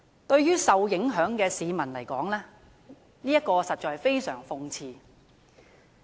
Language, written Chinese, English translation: Cantonese, 對於受影響的市民而言，實在相當諷刺。, How sarcastic it is to those members of the public affected